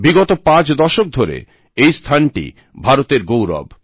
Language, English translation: Bengali, For the last five decades, it has earned a place of pride for India